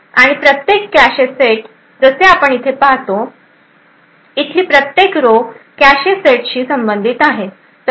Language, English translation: Marathi, And each cache set as we see over here, each row over here corresponds to a cache set